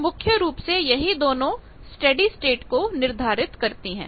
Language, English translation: Hindi, So, mainly these two determines the steady state